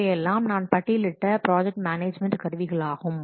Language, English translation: Tamil, So these are few of the project management tools we have listed here